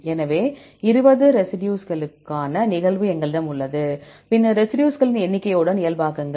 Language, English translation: Tamil, So, we have the occurrence for the 20 residues, then normalize with number of residues